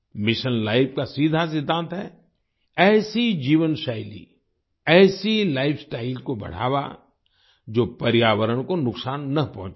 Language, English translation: Hindi, The simple principle of Mission Life is Promote such a lifestyle, which does not harm the environment